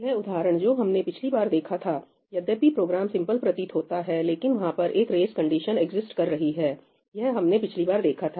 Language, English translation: Hindi, This example that we saw last time although the program seems very simple, there is a race condition that exists, right, we saw that last time